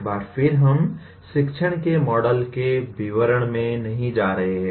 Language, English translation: Hindi, Once again we are not going to get into the details of models of teaching